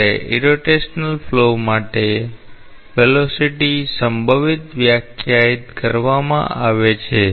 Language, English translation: Gujarati, When the velocity potential is defined for irrotational flow